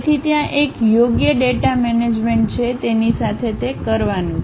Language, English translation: Gujarati, So, there is a proper data management one has to do with that